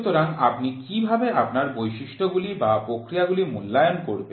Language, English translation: Bengali, So, how do you character how do you evaluate your processes